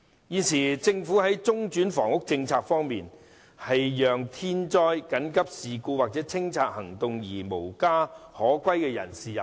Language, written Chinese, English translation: Cantonese, 現時政府的中轉房屋政策，是讓因天災、緊急事故或清拆行動而無家可歸的人士入住。, The current government policy on interim housing is to shelter those people rendered homeless as a result of natural disasters emergencies or clearance actions